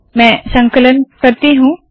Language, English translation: Hindi, Ill compile it